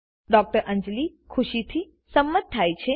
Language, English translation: Gujarati, Dr Anjali happily agrees